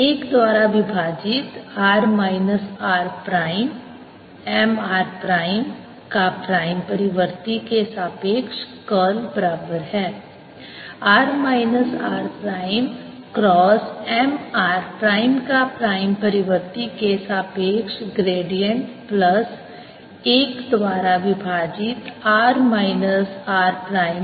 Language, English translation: Hindi, put one over r minus r prime with respect to prime cross m r prime is equal to curl of one over r minus r prime